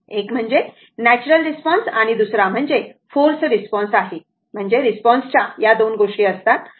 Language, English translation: Marathi, One is natural response and other forced response, I mean the response has two things